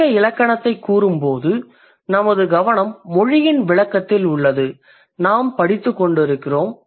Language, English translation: Tamil, When you say descriptive grammar, our focus is on the description of the language